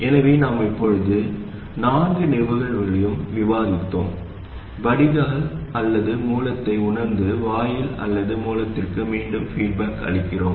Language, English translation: Tamil, So we have now discussed all four cases sensing at either drain or source and feeding back to either gate or source